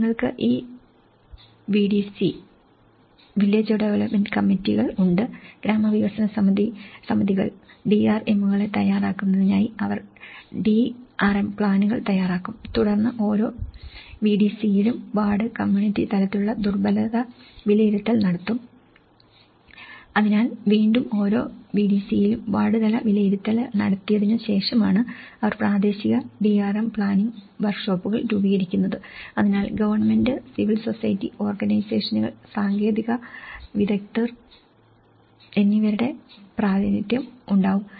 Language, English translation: Malayalam, So, you have these VDC’s; village development committees to prepare the DRMs so, they will prepare the DRM plans and then the ward and community level vulnerability assessments were carried out in each VDC, so there is again ward level assessment has been carried out in each VDC and then that is where, they form the local DRM planning workshops okay, so with represent of government, civil society, organizations as well as technical experts